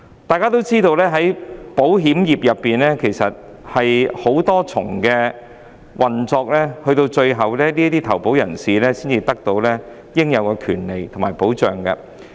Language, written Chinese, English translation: Cantonese, 大家也知道，保險業涉及多重運作，投保人須經過繁複的程序，最終才得享應有的權利和保障。, Everyone knows that the insurance industry involves many layers of operations and policyholders have to go through a series of very complex procedures before they can enjoy the rights and protections they are entitled to